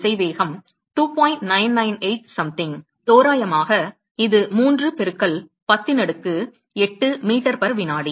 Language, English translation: Tamil, 998 something, approximately it is about three into 10 power 8 meters per second